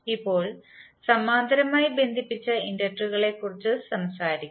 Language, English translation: Malayalam, Now, let us talk about the inductors connected in parallel